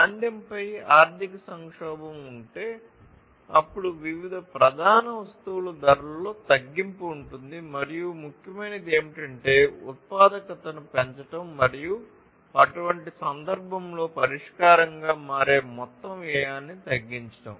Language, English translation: Telugu, So, if there is economic crisis on recession then there will be reduction in prices of different major commodities and what is important is to increase the productivity and reduce the overall cost that becomes the solution in such a case